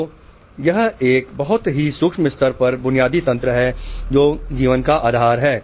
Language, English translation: Hindi, So, this is the basic mechanism at a very micro level which is the basis of life